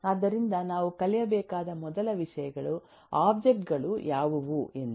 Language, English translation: Kannada, so the first things we need to learn are: what are the objects